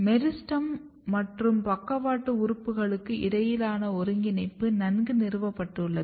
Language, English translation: Tamil, The coordination between meristem and the lateral organs is well established